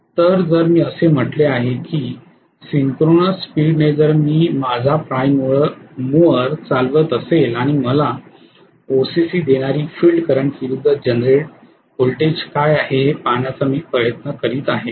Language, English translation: Marathi, So if I say that at synchronous speed if I am running my prime mover and I am trying to look at what is the generated voltage versus field current that gives me the OCC